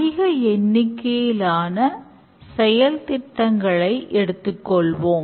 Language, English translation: Tamil, Now let's look at the large number of projects that are done